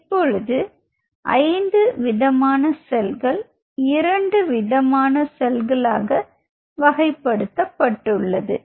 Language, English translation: Tamil, So now from 5 cell types now you are slowly narrowing down to 2 different cell types